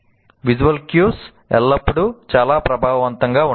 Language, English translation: Telugu, Visual cues are always more effective